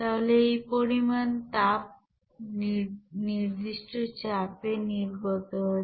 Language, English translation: Bengali, So this much of heat is you know released at constant pressure